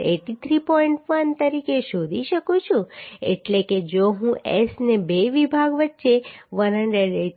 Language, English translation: Gujarati, 1 that means if I put S the spacing between two section as 183